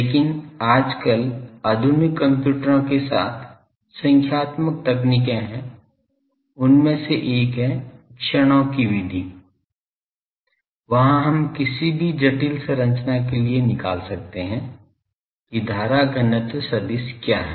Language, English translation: Hindi, But nowadays with modern computers there are numerical techniques, one of that is method of moments, there also we can find out for any complicated structure what is the current density vector